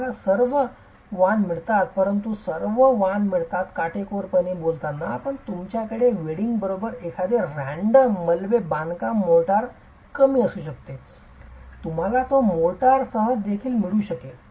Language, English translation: Marathi, You get all varieties, you get all varieties, strictly speaking, but you could have a random double construction motor less with wedging you could get it also with mortar